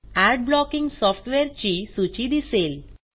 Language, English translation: Marathi, A list of Ad blocking software is displayed